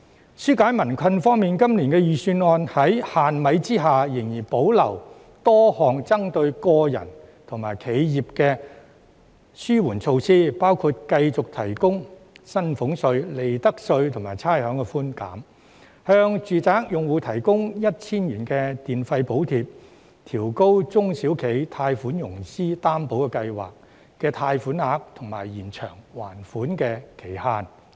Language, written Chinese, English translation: Cantonese, 在紓解民困方面，今年預算案在"限米"下仍然保留多項針對個人和企業的紓緩措施，包括繼續提供薪俸稅、利得稅及差餉寬減；向住宅用戶提供 1,000 元電費補貼；調高中小企融資擔保計劃的貸款額及延長還款期限等。, In alleviating peoples hardship the Budget of this year manages to retain a number of relief measures targeting at individuals and businesses though there are limited ingredients . For instance it continues to provide salaries tax profits tax and rates concessions; grant each residential electricity account a subsidy of 1,000; raise the loan ceiling of the SME Financing Guarantee Scheme and extend the repayment period